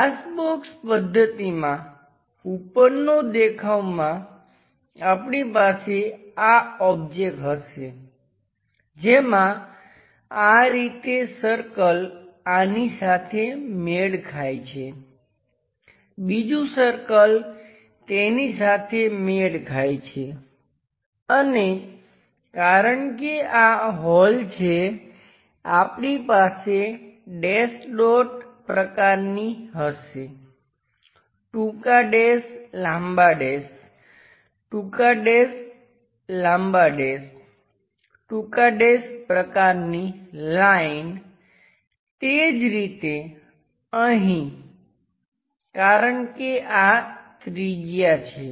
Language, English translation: Gujarati, In the top view glass box method, we will have this object which goes in this way having a circle matching with this one, another circle matching with that location and because these are the holes, we will have dash dot kind of long dash, short dash, long dash, short dash, long dash, short dash kind of line similarly here because this is making a radius